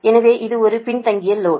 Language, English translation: Tamil, so its a lagging load, right